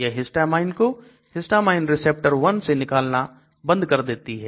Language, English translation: Hindi, They block histamine release from histamine 1 receptor